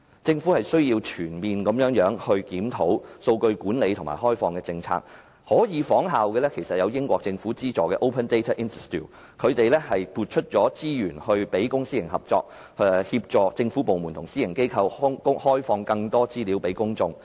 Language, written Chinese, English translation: Cantonese, 政府須全面檢討數據管理及開放政策，它可以仿效英國政府資助的 Open Data Institute， 撥出資源支持公私營合作，協助政府部門及私人機構向公眾開放更多資料。, The Government must comprehensively review its policy on data management and open data . It can follow the example of the Open Data Institute funded by the British Government in allocating resources to supporting public - private partnership and assisting government departments and private companies in opening up more data to the public